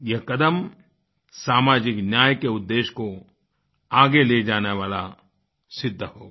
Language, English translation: Hindi, This step will prove to be the one to move forward our march towards achieving the goal of social justice